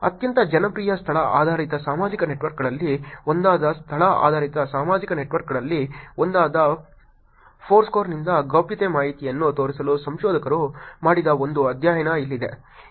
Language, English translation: Kannada, Here is one study that researchers have done to show that privacy information from Foursquare which is one of the location based social networks, one of the very popular location based social network